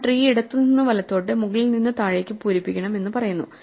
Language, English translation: Malayalam, So, just as we said we filled up this heap left to right, top to bottom right